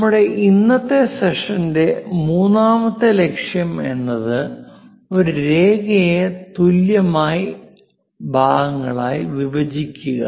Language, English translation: Malayalam, The third point objective for our today's session is; divide a line into equal parts